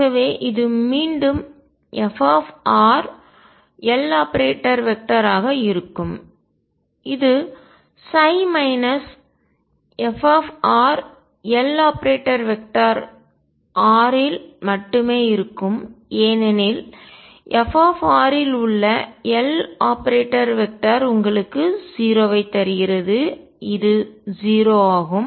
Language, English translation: Tamil, So, this comes out to be again f r L operating only on psi minus f r L operating on side because L operating on f r gives you 0 and this is 0